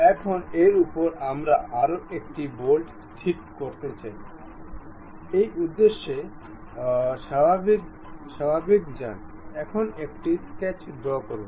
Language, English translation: Bengali, Now, on that we would like to have a one more bolt to be fixed; for that purpose go to normal, now draw a sketch